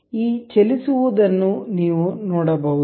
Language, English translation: Kannada, You can see this moving